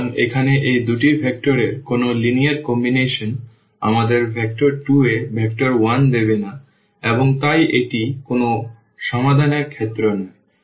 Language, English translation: Bengali, So, here any linear combination of these two vectors will not give us the vector 1 in 2 and hence this is the case of no solution